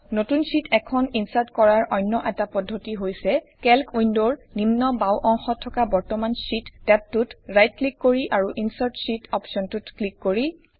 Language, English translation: Assamese, Another method for inserting a new sheet is by right clicking on the current sheet tab at the bottom left of the Calc window and clicking on the Insert Sheet option